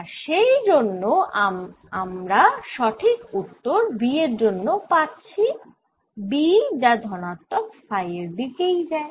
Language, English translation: Bengali, correct answer for b that b would be going in the positive directions